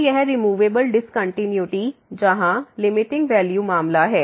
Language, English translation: Hindi, So, this is the case of the removable discontinuity where the limiting value